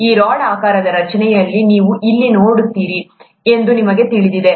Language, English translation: Kannada, You know you’ll see these rod shaped structures here